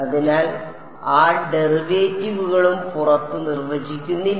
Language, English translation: Malayalam, So, that derivatives also not define outside